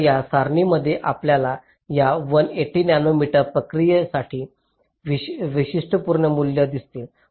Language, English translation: Marathi, so here in this table you see the typical values for this one eighty nanometer process